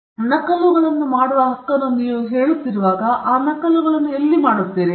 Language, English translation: Kannada, And when you are talking about the right to make copies, where are you making those copies